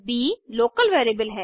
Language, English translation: Hindi, b is a local variable